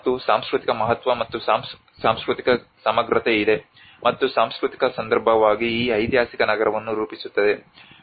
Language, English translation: Kannada, And there is a cultural significance and cultural integrity and as a cultural context which actually frames this historical city